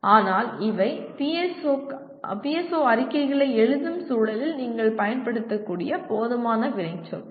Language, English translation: Tamil, But these are reasonably adequate number of action verbs that you can use in the context of writing PSO statements